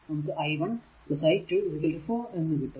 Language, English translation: Malayalam, So, put here i 2 is equal to 2 i 3